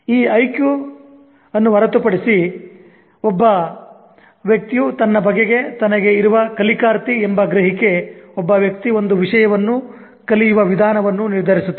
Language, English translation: Kannada, Now, apart from this IQ, one's perception about oneself as a learner determines the way a person learns a subject